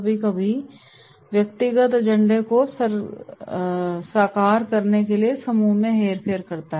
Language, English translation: Hindi, Sometimes, manipulating the group for realising personal agenda